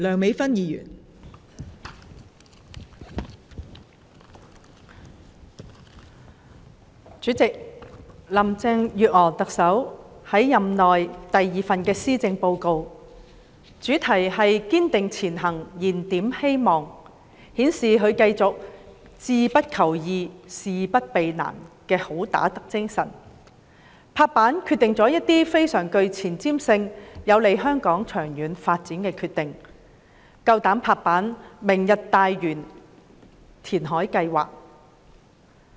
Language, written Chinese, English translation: Cantonese, 代理主席，特首林鄭月娥任內第二份施政報告，以"堅定前行燃點希望"為主題，繼續顯示她志不求易、事不避難的"好打得"精神，作出一些非常具前瞻性、有利香港長遠發展的決定，有勇氣"拍板"決定"明日大嶼"填海計劃。, Deputy President this is the second Policy Address presented by Chief Executive Carrie LAM in her term . The title Striving Ahead Rekindling Hope is used to continue to show her fighting spirit of daring to rise to challenges and resolve difficulties by making certain decisions which are exceptionally forward - looking and conducive to the long - term development of Hong Kong . She also has the courage to make the decision on the Lantau Tomorrow reclamation programme